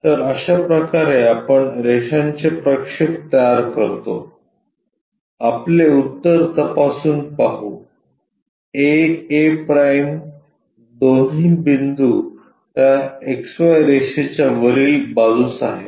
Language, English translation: Marathi, This is the way we construct projections of lines, check our solution both the points a’ a on one side above that XY line